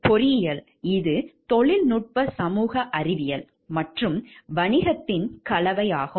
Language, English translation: Tamil, Like, engineering it is a blend of technology social science and business